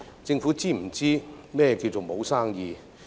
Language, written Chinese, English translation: Cantonese, 政府是否知道何謂沒有生意？, Does the Government know what it means to have no business at all?